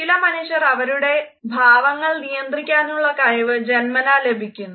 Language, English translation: Malayalam, Some people are born with the capability to control their expressions